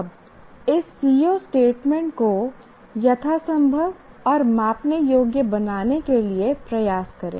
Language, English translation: Hindi, Now put in effort to make the CVO statement as detailed as possible and measurable